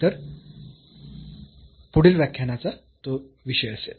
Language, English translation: Marathi, So, that will be the content of the next lecture